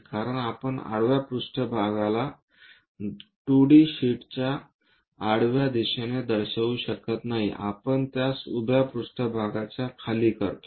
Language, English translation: Marathi, Because we cannot show horizontal plane in the horizontal direction of a 2D sheet we make it below that vertical plane